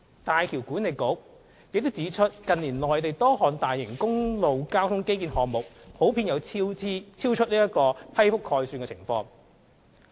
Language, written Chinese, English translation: Cantonese, 大橋管理局亦指出，近年內地多項大型公路交通基建項目普遍出現超出批覆概算的情況。, The HZMB Authority has also pointed out that many large - scale highway transport infrastructure projects in the Mainland have in general incurred cost overruns in excess of their approved project estimates